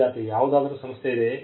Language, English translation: Kannada, Student: Is there some institute